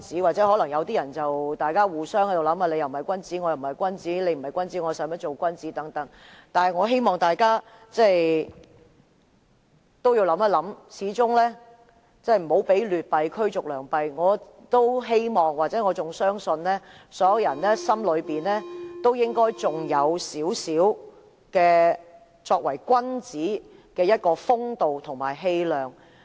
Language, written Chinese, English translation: Cantonese, 或許有人會互相猜忌，你不是君子，我也不是君子，既然你不是君子，我又何需當君子等，但我希望大家想一想，我們不要讓劣幣驅逐良幣，我也希望——我亦仍然相信——所有人的心中應該仍有少許作為君子的風度和氣量。, Some people may be suspicious of each other thinking neither you nor I am virtuous and since you are not virtuous why do I need to be so something like that . Yet I hope we will come to think about it . We should not let bad money drive out the good